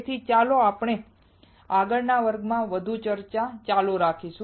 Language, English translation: Gujarati, So, let us continue our discussion in the next class